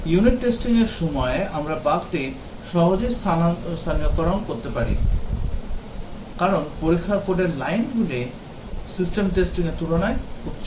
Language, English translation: Bengali, Whereas unit testing we can easily localize the bug, because the lines of code look for is very small compared to system testing